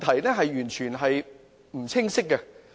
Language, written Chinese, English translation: Cantonese, 這是完全不清晰的。, This is completely unclear